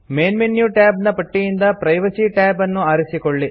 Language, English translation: Kannada, Choose the Privacy tab from the list of Main menu tabs